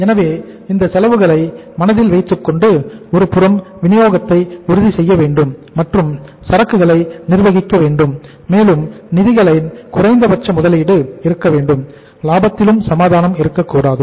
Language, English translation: Tamil, So keeping these costs in mind we will have to manage the inventory in such a way that on the one side supply is assured and the funds are also minimum investment of the funds also takes place and the profitability is also not compromised